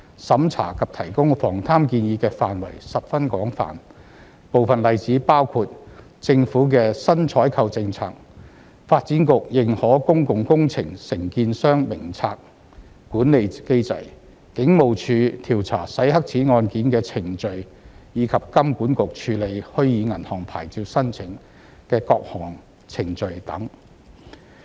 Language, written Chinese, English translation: Cantonese, 審查及提供防貪建議的範圍十分廣泛，部分例子包括：政府的新採購政策、發展局《認可公共工程承建商名冊》管理機制、警務處調查洗黑錢案件的程序，以及金管局處理虛擬銀行牌照申請的各項程序等。, There was a very wide scope for the review and the provision of corruption prevention input . Some examples are the Governments new procurement policy the Development Bureaus system for managing the List of Approved Contractors for Public Works the Police Forces procedures for the investigation of money laundering cases and the Hong Kong Monetary Authoritys procedures for processing applications for virtual banking licences